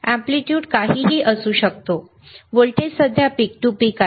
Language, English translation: Marathi, Aamplitude you can be whatever, voltage is peak to peak right now